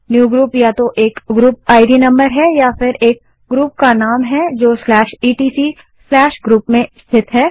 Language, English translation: Hindi, Newgroup is either a group ID number or a group name located in /etc/group